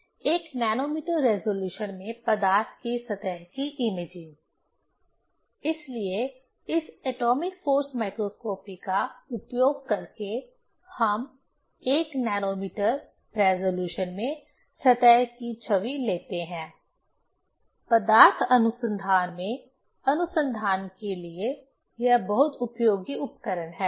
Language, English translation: Hindi, That imaging of surface of a material in 1 nanometer resolution; so using this atomic force microscopy we take image of the surface in 1 nanometer resolution; very very useful instrument for research in material research